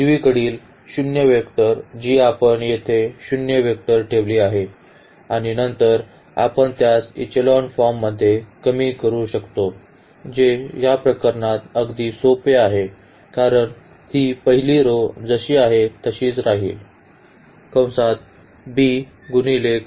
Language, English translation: Marathi, The right hand side the zero vector which we have kept here the zero vector and then we can reduce it to the echelon form which is very simple in this case because this first row will remain as it is